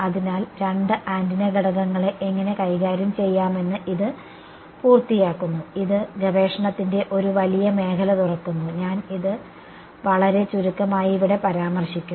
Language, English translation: Malayalam, So, this sort of completes how to deal with two antenna elements and this opens up a vast area of research I will just very briefly mention it over here